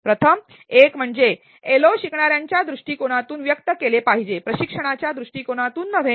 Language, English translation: Marathi, The first one is that the LOs should be expressed from the learners perspective and not from the instructors perspective